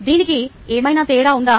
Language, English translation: Telugu, has it made any difference